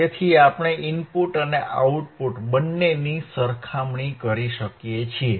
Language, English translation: Gujarati, So, we can compare the input and output both